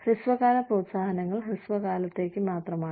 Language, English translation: Malayalam, The short term incentives are short lived